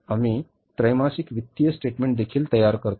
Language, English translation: Marathi, We prepare the quarterly financial statements also